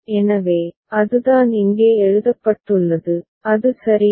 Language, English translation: Tamil, So, that is what has been written here right, is it fine